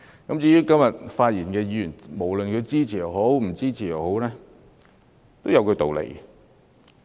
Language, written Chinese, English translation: Cantonese, 今天發言的議員無論支持與否，其實也有他們的道理。, Members who have spoken today have their respective reasons for supporting the motion or otherwise